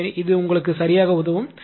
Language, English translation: Tamil, So, this will help you a lot right